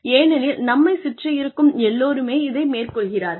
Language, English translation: Tamil, Just because, everybody else around us is doing it